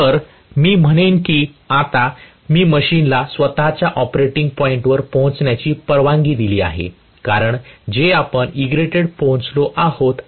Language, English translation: Marathi, So, I would say that now I have allowed the machine to reach its own operating point because of which we have reach Egrated